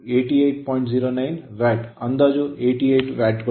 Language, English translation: Kannada, 09 watt approximately your 88 watt right